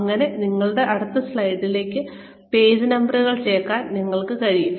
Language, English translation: Malayalam, And, you will be able to add page numbers, to your slides